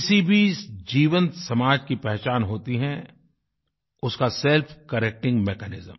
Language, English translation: Hindi, The benchmark of any living society is its self correcting mechanism